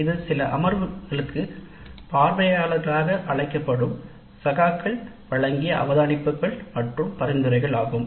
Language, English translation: Tamil, So, primarily the observations and suggestions given by peers when invited as observers to some sessions